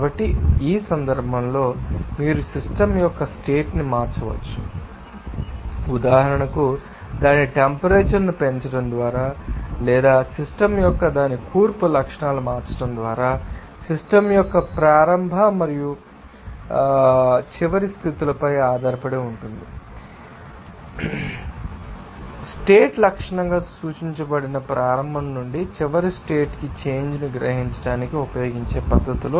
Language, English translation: Telugu, So, in this case you have to remember that the state of your system can be changed, for example, by increasing its temperature or changing its composition properties of the system will change depends on the on the initial and final states of the system but not on the manner used to realize the change from the initial to the final state as referred to as a state properties